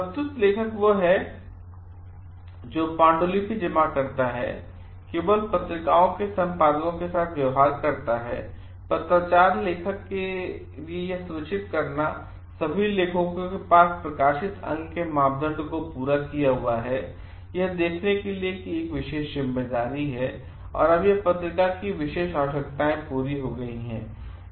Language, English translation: Hindi, Submitting author is one who submits the manuscript, deals with journals editors, only points of correspondence, owns a special responsibility to see that all authors have fulfilled the criteria for authorship, make sure that the special journal requirements are met